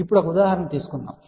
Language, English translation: Telugu, Now, let just take an example